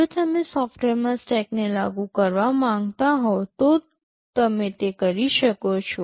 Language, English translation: Gujarati, If you want to implement stack in software, you can do it